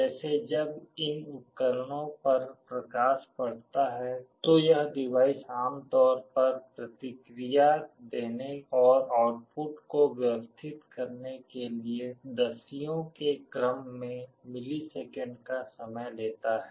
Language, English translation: Hindi, Like when light falls on these devices it typically takes of the order of tens of milliseconds for the device to respond and the output to settle down